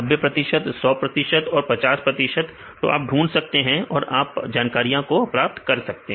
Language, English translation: Hindi, 90 percent, 100 percent and 50 percent you can search and then you can get these information